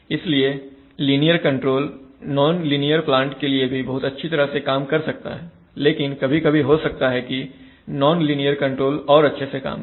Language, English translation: Hindi, So linear control can work very well for non linear plans but sometimes nonlinear control may be working better but 95% of industrial controllers are linear